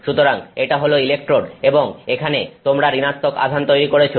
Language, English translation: Bengali, So, this is the electrode and you build negative charges here